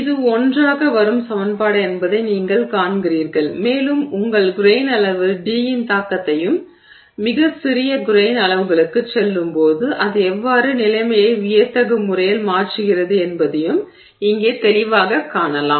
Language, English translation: Tamil, So, so you see that this is the equation that comes together and you can see here very clearly the impact of the D which is your grain size and how it you know dramatically changes the situation when you go to extremely small grain sizes